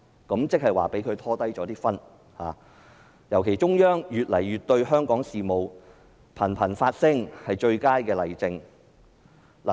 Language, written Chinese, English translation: Cantonese, 換言之，香港被內地拉低了分數，尤其是中央政府近日對香港事務頻頻發聲，便是最佳例證。, In other words Hong Kongs score has been dragged down by the Mainland . In particular the best case in point is that the Central Government has frequently expressed their views on Hong Kong affairs in recent days